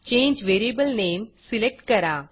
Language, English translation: Marathi, Select change variable name